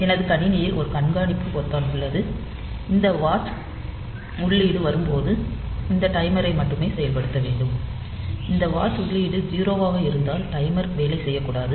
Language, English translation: Tamil, So, in my system if this is the system, there is a there is a watch button and when this watch input comes, then only then only this timer should be activated, and if this watch input is 0 then the timer should not work